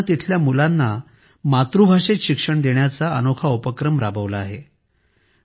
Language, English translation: Marathi, This village has taken a unique initiative to provide education to its children in their mother tongue